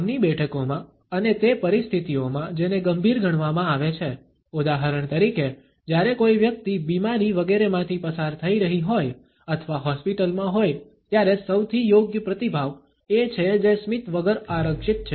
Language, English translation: Gujarati, In sittings of work and in those situations, which are considered to be serious for example, when somebody is dealing with illness etcetera or is in hospital the most appropriate response is one that is reserved with no smile